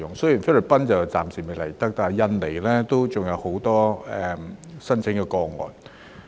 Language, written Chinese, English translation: Cantonese, 雖然菲律賓外傭暫時未能來港，但印尼也有很多申請個案。, Although FDHs from the Philippines cannot come to Hong Kong for the time being there are also many applications for FDHs from Indonesia